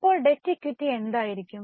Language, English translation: Malayalam, Then what will be the debt equity